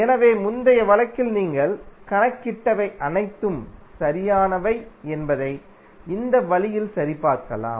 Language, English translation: Tamil, So, in this way you can cross verify that whatever you have calculated in previous case is correct